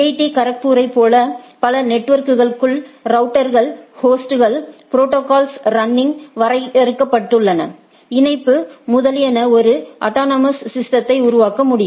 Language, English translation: Tamil, Like IIT Kharagpur along with several networks, routers, hosts, protocols running, connectivity defined etcetera for can form a autonomous system